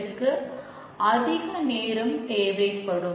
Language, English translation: Tamil, It will take a long time